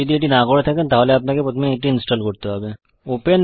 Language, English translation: Bengali, If you do not have it, you need to install it first